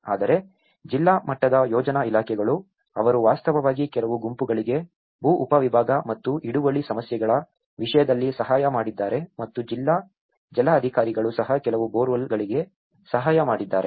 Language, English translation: Kannada, Whereas, the district level planning departments, they have actually assisted some of the groups in terms of land subdivision and tenure issues and also district water authorities also assisted some with the boreholes